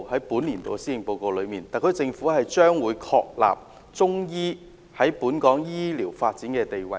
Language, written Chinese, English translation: Cantonese, 本年度的施政府報告提出，特區政府將會確立中醫藥在本港醫療發展的地位。, This years Policy Address stated that the SAR Government would confirm the positioning of Chinese medicine in the development of medical services in Hong Kong